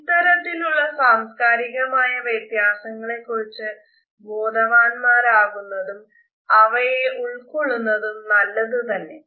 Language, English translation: Malayalam, While it is good to be aware of the cultural differences which exist and one should be sensitive to them